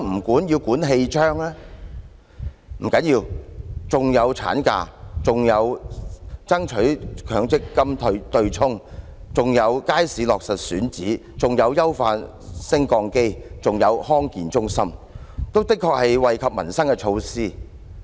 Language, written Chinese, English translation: Cantonese, 不要緊，當中還有產假、爭取強積金對沖、街市落實選址、優化升降機、康健中心等，確實是惠及民生的措施。, Thats okay . There are other items including maternity leave striving against MPF hedging finalizing the market sites the upgrading of lifts and the health centres